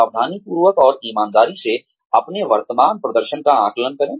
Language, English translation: Hindi, Carefully and honestly, assess your current performance